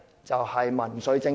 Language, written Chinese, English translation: Cantonese, 就是民粹政治。, It resorts to populism